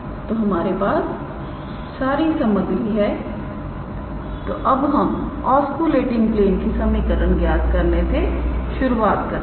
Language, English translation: Hindi, So, we have all the ingredients, now we start calculating the equation of the oscillating plane